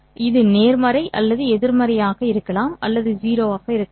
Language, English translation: Tamil, It could be positive or negative or could be 0